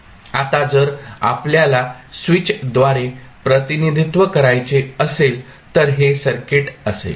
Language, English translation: Marathi, Now, if you want to represent through the switch this would be the circuit